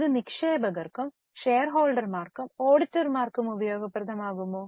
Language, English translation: Malayalam, Will it be useful to investors also or the shareholders also